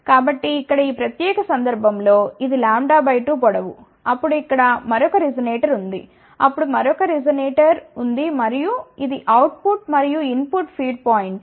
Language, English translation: Telugu, So, in this particular case here this is lambda by 2 length, then there is a another resonator put over here, then there is a another resonator and this is the output and input feed points